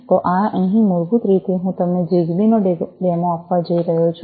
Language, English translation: Gujarati, So here, basically I am going to give you a demo of the ZigBee